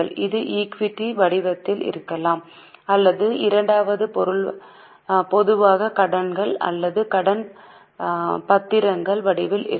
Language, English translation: Tamil, It can be in the form of equity or its second one is normally in the form of loans or debentures